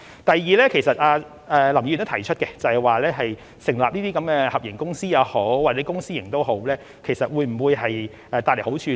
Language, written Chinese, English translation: Cantonese, 第二，林議員也提出成立合營公司或以公私營模式進行，這會否帶來好處呢？, Second Mr LAM also suggested setting up a joint venture company or adopting the Public - Private Partnership approach . Will there be advantages in doing so?